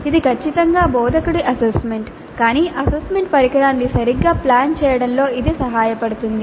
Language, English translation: Telugu, This is definitely an estimate by the instructor but it does help in planning the assessment instrument properly